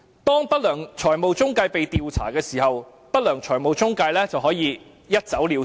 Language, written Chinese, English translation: Cantonese, 當不良財務中介被調查時，不良財務中介便可以一走了之。, When such unscrupulous financial intermediaries are investigated they may simply get away with it